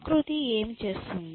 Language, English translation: Telugu, So, how is nature doing